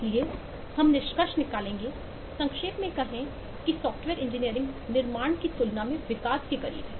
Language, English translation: Hindi, so we will eh conclude, summarize that software development is closer to development, that’s than to construction